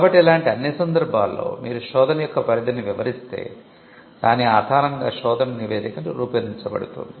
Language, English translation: Telugu, So, in all these cases, you would be describing the scope of the search based on which the search report will be generated